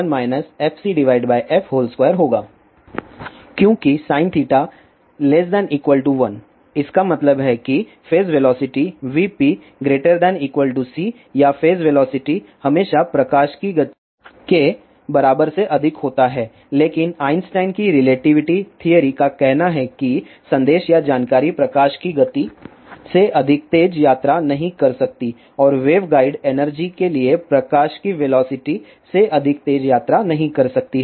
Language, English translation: Hindi, Since sin theta is always less than equal to 1 ; that means, phase velocity is always greater than equal to c or phase velocity is always greater than equal to a speed of light , but Einstein's relativity theory says that message or information cannot travel faster than speed of light and for waveguides energy cannot travel faster than velocity of light